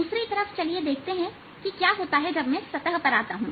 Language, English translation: Hindi, on the other hand, let us see what happens when i come to the surface